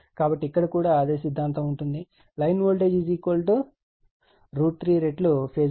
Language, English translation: Telugu, So, in here also same philosophy will be there that, your phase voltage line voltage is root 3 times phase voltage